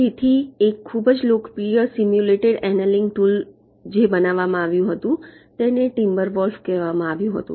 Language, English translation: Gujarati, so one of the very popular simulated annealing tool that was developed was called timber wolf